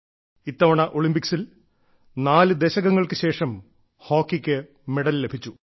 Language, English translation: Malayalam, And this time, in the Olympics, the medal that was won for hockey came our way after four decades